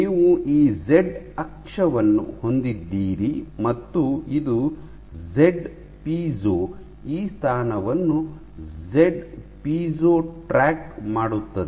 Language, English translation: Kannada, So, you have this z axis the z piezo will track this position, tracked by z piezo